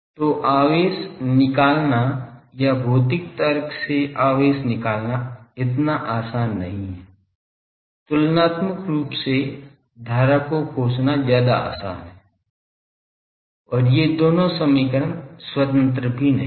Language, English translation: Hindi, So, finding charged or by physically reasoning charge is not so easy; comparatively finding current is much more easy also these two equations are not independent